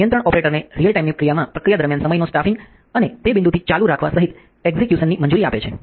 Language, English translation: Gujarati, The control allows operator in a action in real time during the process execution including time staffing and continuing on from that point